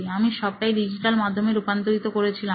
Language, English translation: Bengali, I was digitizing the whole thing